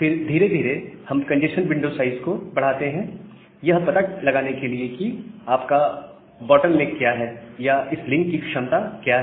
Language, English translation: Hindi, Then, we increase the congestion window size gradually to find out that what is the bottleneck or what is the capacity of the link